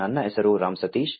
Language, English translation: Kannada, My name is Ram Sateesh